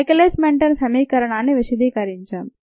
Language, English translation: Telugu, this is the well known michaelis menten equation